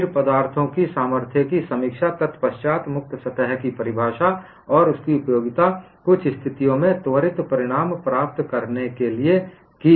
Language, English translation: Hindi, Then we took up review of strength of materials followed by what is a definition of a free surface, and its utility for getting quick results in certain situations